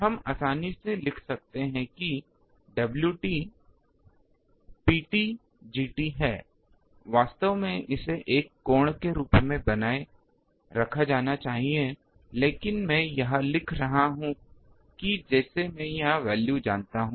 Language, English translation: Hindi, We can easily write that W t is P t G t, actually it should be retain as an angle, but I am writing that as if I know the value here